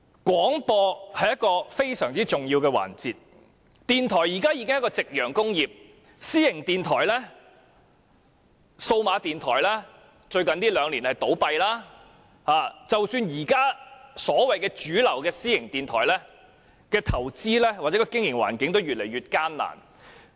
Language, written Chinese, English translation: Cantonese, 廣播是非常重要的環節，電台現時已是夕陽工業，私營電台和數碼電台在最近兩年也有倒閉的情況，即使是現時主流的私營電台，其投資或經營環境也越來越艱難。, Radio has now become a sunset industry . Over the last two years there have been cases of closure of privately - run radio stations and digital radio stations . Even for the existing mainstream private radio stations the conditions for their investment or operation have become increasingly difficult